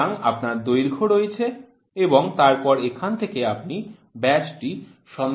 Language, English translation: Bengali, So, you have length and then from here you can try to find out the diameter